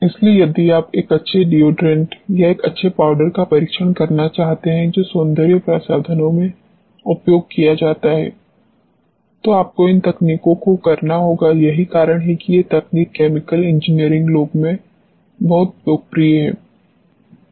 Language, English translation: Hindi, So, if you want to test a good deodorant a good powder which is used for cosmetics, you have to do these techniques, that is why these techniques are very popular where people who are doing chemical engineering